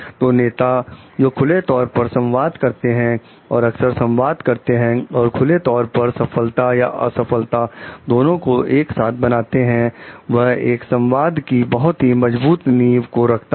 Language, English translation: Hindi, So, leaders who communicate open and communicate often and openly and create a feeling of succeeding and failing together as a pack build a strong foundation of connection